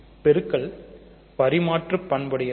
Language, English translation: Tamil, Multiplication is commutative